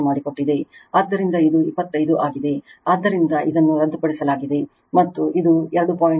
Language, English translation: Kannada, So, it is 25, so, this is cancelled right, and this is 2